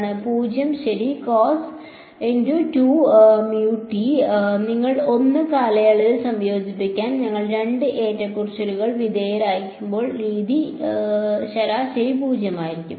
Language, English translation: Malayalam, 0 right you integrate cos 2 omega t over 1 period the way we are undergone 2 fluctuations is average is going to be 0